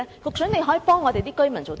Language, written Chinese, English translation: Cantonese, 究竟局長可以幫居民做甚麼？, What actually can the Secretary do to help the residents?